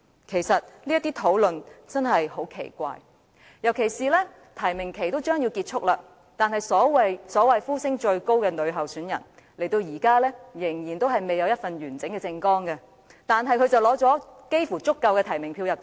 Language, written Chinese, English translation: Cantonese, 其實，這些討論真的很奇怪，尤其是提名期即將結束，那位所謂呼聲最高的女參選人，時至今日仍未提供一份完整的政綱，但她差不多已取得足夠的提名票"入閘"。, Actually these discussions are really peculiar especially when the nomination period will soon conclude but the female candidate who is considered to be the top dog has yet to present a complete election manifesto . Yet she has almost obtained enough nominations for candidacy in the election